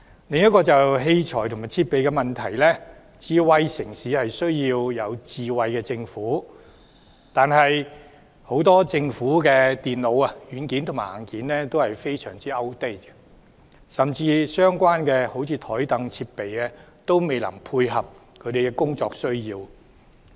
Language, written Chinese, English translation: Cantonese, 接下來是有關器材和設備的問題，智慧城市需要智慧政府，但政府很多電腦硬件和軟件都非常過時，甚至相關的桌椅設備也未能配合公務員的工作需要。, Next I would like to talk about equipment and facilities . A smart city needs a smart government . However many computer hardware and software of the Government are very outdated; even the relevant chairs and tables cannot meet the operational needs of civil servants